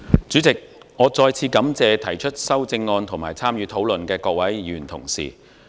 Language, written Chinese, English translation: Cantonese, 主席，我再次感謝提出修正案及參與討論的各位議員同事。, President once again I thank Honourable Members who have proposed amendments and participated in the discussion